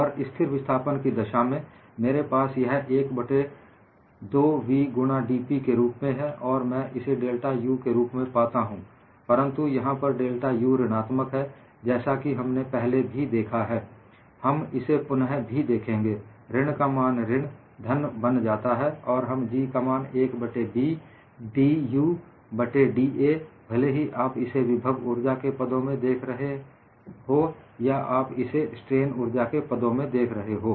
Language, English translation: Hindi, And in the case of constant of displacement, I have this as 1 by 2 v into dP, and I get this as delta U; but this delta U is negative because we have seen already, we will also look that up again, that minus of minus will become positive, or in other words, we can also write G simply as 1 by B dU by da; either you can look at it in terms of potential energy, or you can also look at in terms of the strain energy